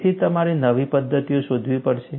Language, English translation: Gujarati, So, you have to look for newer methodologies